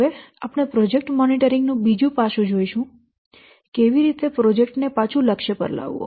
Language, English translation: Gujarati, Now we will see the another aspect for this project monitoring that is getting the project back to the target